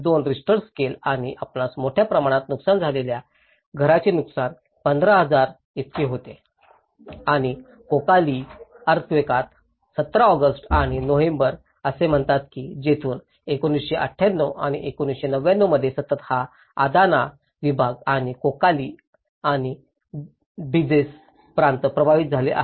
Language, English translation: Marathi, 2 Richter scale and you can see the damage of heavily damaged houses are about 15,000 and in Kocaeli earthquake, same August 17 and November say that from here in the same 1998, 1999 is a continuously, this Adana region and as Kocaeli and Duzce provinces have been affected